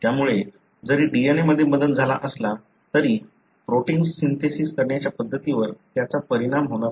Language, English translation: Marathi, So, even if there is a change in the DNA, it would not affect the way the protein is being synthesized